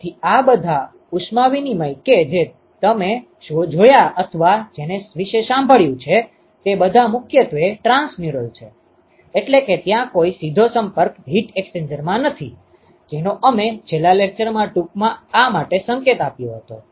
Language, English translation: Gujarati, So, all the heat exchangers that you have seen or sort of heard about, they are all primarily transmural, that is there is no in direct contact heat exchangers we briefly alluded to this in the last lecture